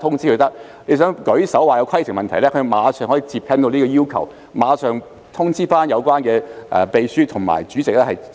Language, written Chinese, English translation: Cantonese, 如果議員想舉手提出規程問題，他馬上可以回應這個要求，並隨即通知負責的秘書和主席處理。, If a Member wants to put up his hand to raise a point of order the colleague will respond to this request and notify the Clerk and the Chairman immediately for follow - up